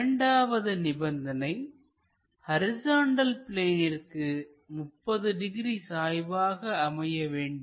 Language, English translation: Tamil, And, this line is parallel to vertical plane and inclined to horizontal plane at 30 degrees